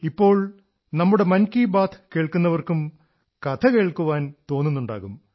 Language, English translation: Malayalam, Now our audience of Mann Ki Baat… they too must be wanting to hear a story